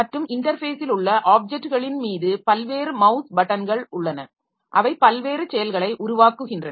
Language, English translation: Tamil, And there are various mouse buttons over objects in the interface that cause various actions